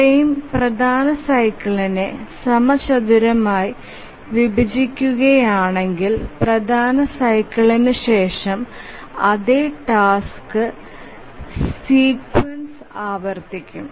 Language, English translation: Malayalam, If the frame squarely divides the major cycle, then after the major cycle the same task sequence will repeat